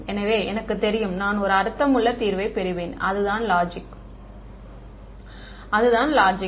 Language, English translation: Tamil, So, that I know, I can get I will get a meaningful solution right, that is the logic